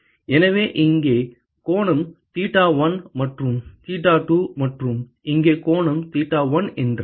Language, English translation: Tamil, So, if the angle here is theta1 and theta2 and the angle here is theta1